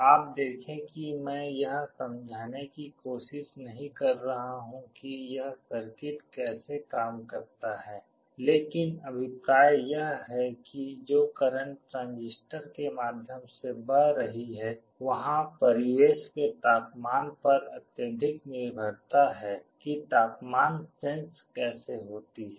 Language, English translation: Hindi, You see I am not trying to explain how this circuit works, but the idea is that the currents that are flowing through the transistors there is a strong dependence on the ambient temperature that is how the temperature sensing is done